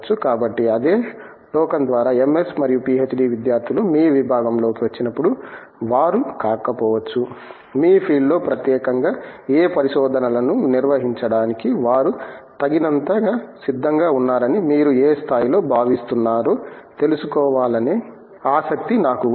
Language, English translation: Telugu, So, by the same token so when MS and PhD students come into your department, may be they are not, I have been I am curious to know to what degree you feel they are adequately prepared for handling what research is in specifically in your field